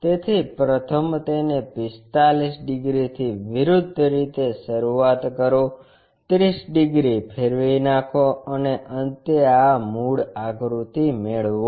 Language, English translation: Gujarati, So, first do it in the reverse way from begin with 45 degrees, go for rotation of 30 degrees and finally, obtain this original figure